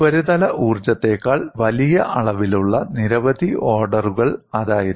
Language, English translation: Malayalam, That was several orders of magnitude greater than the surface energy